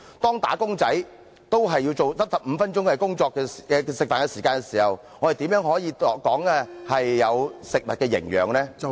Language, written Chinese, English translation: Cantonese, 當"打工仔"只有15分鐘的用膳時間時，我們如何談有食物營養？, When workers only have 15 minutes to have their meals how can we talk about food nutrition?